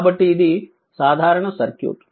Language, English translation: Telugu, As this is your open circuit